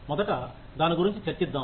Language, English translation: Telugu, Let us first discuss that